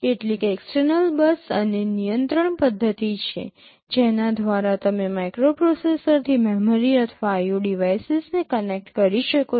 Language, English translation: Gujarati, There are some external bus and control mechanism through which you can connect memory or IO devices with the microprocessor